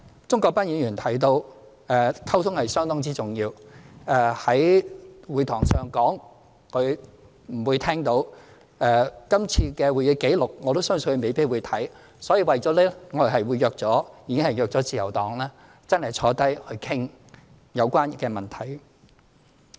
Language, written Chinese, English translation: Cantonese, 鍾國斌議員提到溝通相當重要，今天議事堂上的說話，他可能聽不到，這次的會議紀錄，我相信他也未必會看，為此我們已經約見自由黨，大家真的坐下來商討有關問題。, Mr CHUNG Kwok - pan mentioned the importance of communication . Since he may not be able to listen to what I say in this Chamber today and I believe he may not read the Official Record of Proceedings of this meeting either we have already arranged to meet the Liberal Party so that we can really sit down and discuss the matters concerned